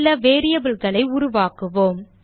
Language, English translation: Tamil, Now let us create a few variables